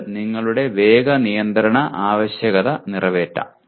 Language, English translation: Malayalam, It may meet your speed control requirement